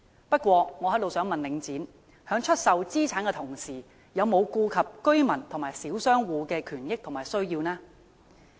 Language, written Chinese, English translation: Cantonese, 不過，我想問領展，在出售資產的同時，有否顧及居民和小商戶的權益和需要呢？, However I wish to ask Link REIT whether it has taken into account the right and interests as well as the needs of residents and small traders while selling its assets?